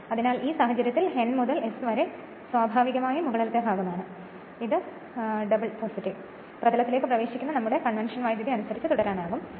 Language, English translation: Malayalam, So, in this case it is N to S naturally upper part this is the plus plus can carry on as per our convention current entering into the plane